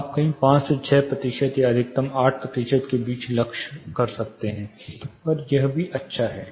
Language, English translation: Hindi, You can somewhere target between you know 5 to 6 percentage or maximum of 8 percentage, it is still good